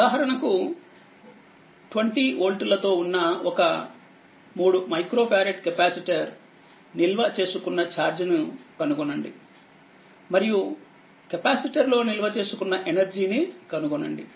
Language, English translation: Telugu, For example, that calculate the charge stored on a 3 micro farad capacitor with a 20 with 20 volt across it also find the energy stored in the capacitor very simple thing